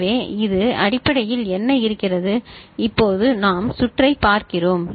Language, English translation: Tamil, So, this is basically what is there and now we look at the circuit ok